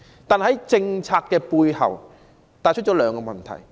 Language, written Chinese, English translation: Cantonese, 不過，這項政策帶出兩個問題。, Yet the policy has revealed two problems